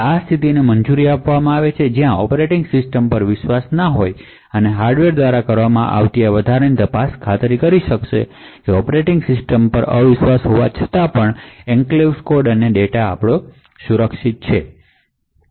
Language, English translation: Gujarati, So this would permit a scenario where the operating system is not trusted and the additional checks done by the hardware would ensure that the enclave code and data is kept safe even when the operating system is untrusted